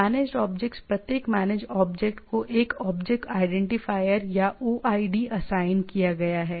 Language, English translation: Hindi, Managed objects each managed object is assigned a object identifier, or OID